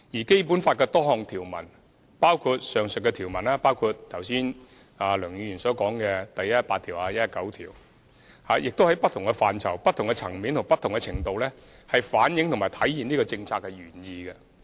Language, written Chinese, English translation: Cantonese, 《基本法》多項條文，包括梁議員剛才提到的第一百一十八條和第一百一十九條，均在不同範疇、不同層面和不同程度上反映和體現了上述政策原意。, This policy intent has already been reflected and embodied to various extents at different aspects and levels in a number of provisions in the Basic Law including Articles 118 and 119 mentioned by Mr LEUNG just now